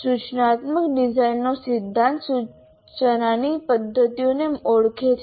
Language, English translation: Gujarati, Now, instructional design theory identifies methods of instruction